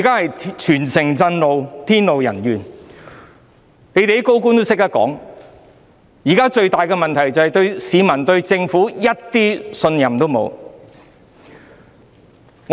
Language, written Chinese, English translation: Cantonese, 現在全城震怒，天怒人怨，連有些高官也說，現時最大的問題是市民對政府一點信任也沒有。, As a result there is widespread resentment and indignation in the city . Even some high - ranking officials have said that the biggest problem right now is that members of the public have no confidence in the Government at all